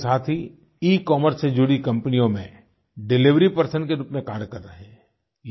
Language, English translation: Hindi, Many of our friends are engaged with ecommerce companies as delivery personnel